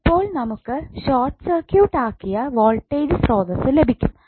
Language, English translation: Malayalam, So we will get this circuit where we have short circuited the voltage source